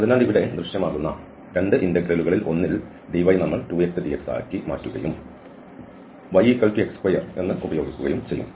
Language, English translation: Malayalam, So, in one of the 2 integrals which will appear here because dx and dy is for instance the dy we will convert to 2 x, dx and y will be used as x square